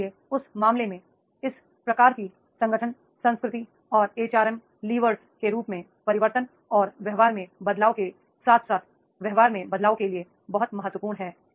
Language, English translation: Hindi, So therefore in that case, this type of the organization culture and HRM levers for the change that is shifts in attitude and beliefs as well as in the behavior that becomes very very important